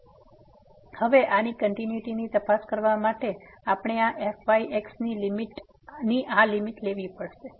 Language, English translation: Gujarati, So now for this to check the continuity of this, what we have to now take this limit of this